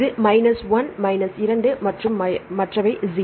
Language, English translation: Tamil, This is minus 1, this is minus 2 and others are 0